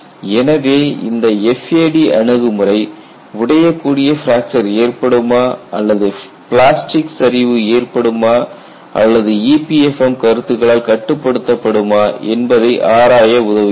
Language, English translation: Tamil, So, this FAD approach helps to investigate whether brittle fracture would occur or plastic collapse would occur or will it be controlled by e p f m concepts